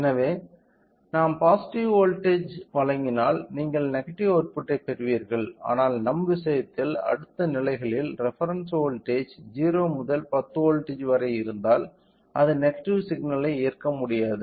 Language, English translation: Tamil, So, if we provide a positive input voltage you will get an output as negative if that is then we can go with, but in our case if the next states has a reference of 0 to 10 volts where it cannot accept the negative signal then I have to change the phase from 0 negative to the positive